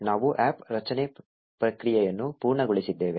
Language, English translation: Kannada, We have completed the APP creation process